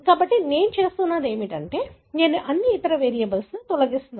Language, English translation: Telugu, So, what I am doing is, I am removing all other variables